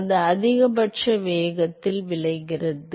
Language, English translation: Tamil, So, that is results in the maximum velocity